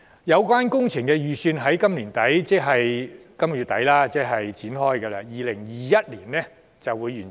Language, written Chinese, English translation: Cantonese, 有關工程預將於今年年底展開，並於2021年完成。, It is expected that the upgrading works will commence in late 2018 for completion in 2021